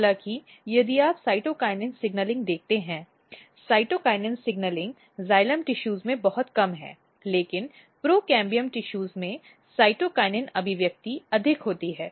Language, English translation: Hindi, However, if you see the cytokinin signaling the cytokinin signaling are very less in the in the xylem tissues, but in procambium tissues the cytokinin expressions are high